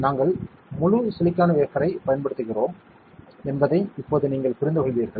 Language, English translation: Tamil, You now understand that we use entire silicon wafer, right